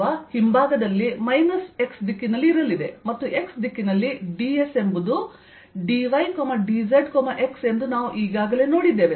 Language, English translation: Kannada, on at the backside is going to be in the direction minus x, and we've already seen that in the x direction d s is d y d z x